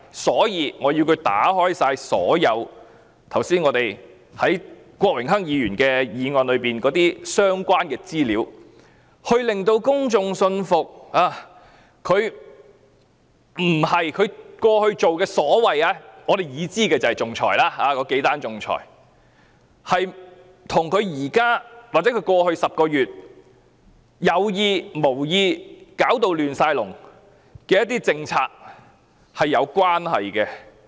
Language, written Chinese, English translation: Cantonese, 所以，我們要她公開所有郭榮鏗議員議案提及的相關資料，令公眾信服她在我們已知的幾宗仲裁與她現時或過去10個月有意、無意導致一塌糊塗的一些政策是否有關係。, That is why we ask her to disclose all the relevant information mentioned in the motion moved by Mr Dennis KWOK so as to convince the public whether the known arbitration cases have something to do with her intentional or unintentional policies leading to the present mess or the mess in the past 10 months